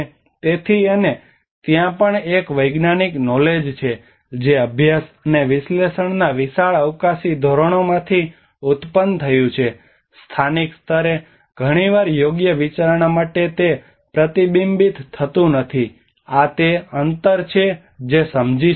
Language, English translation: Gujarati, So and also there is a scientific knowledge which has been generated from a very vast spatial scales of study and analysis is often not reflected for appropriate considerations at local level, this is the gap one can understand